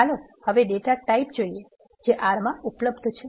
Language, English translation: Gujarati, Let us now look at the data types that are available in the R